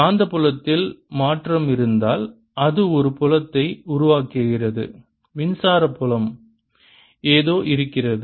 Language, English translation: Tamil, if there is a change, a magnetic field, it produces fiels, electric fiels